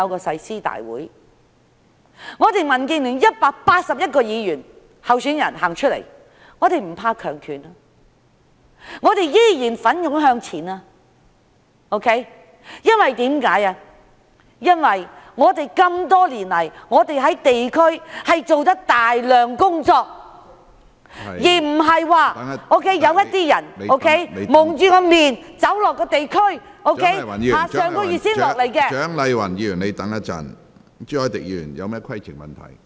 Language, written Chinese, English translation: Cantonese, 民建聯共有181名區議會候選人，我們不畏強權，依然會奮勇向前，因為我們多年來做了大量地區工作，而不是像有些人蒙面走到地區，在上個月才來到......, There are 181 DAB members running for the DC Election . We are not afraid of autocracy and will forge ahead courageously because over the years we have done a lot of work in the districts unlike some masked people who walk into the districts and last month